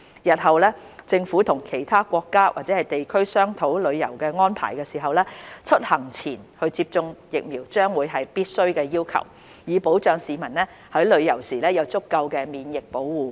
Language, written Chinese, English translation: Cantonese, 日後政府與其他國家或地區商討旅遊安排時，出行前接種疫苗將會是必須的要求，以保障市民在旅遊時有足夠的免疫保護。, When the Government discusses travel arrangements with other countries or regions in the future vaccination before travel will be a necessary requirement to ensure that citizens will have sufficient protection during travel